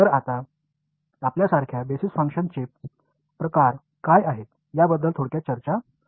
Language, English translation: Marathi, So, now like we will have a brief discussion of what are the kinds of basis functions